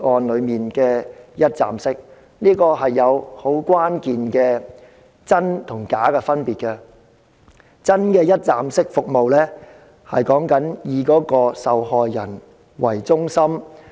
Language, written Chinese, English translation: Cantonese, 兩者其實存在關鍵的真假之分，因為真正的一站式服務以受害人為中心。, Actually there is a key distinction between the two in authenticity . The reason is that genuine one - stop services should be victim - oriented